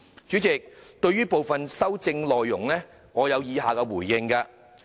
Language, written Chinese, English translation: Cantonese, 主席，對於部分修正案的內容，我有以下回應。, President the following is my response to the contents of some amendments